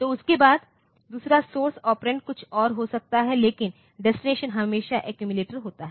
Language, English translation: Hindi, So, after that the second source operand, may be something else, but the destination is always the accumulator